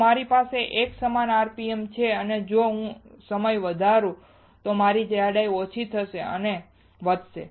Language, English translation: Gujarati, If I have a uniform rpm and if I increase the t ime my thickness will decrease or increase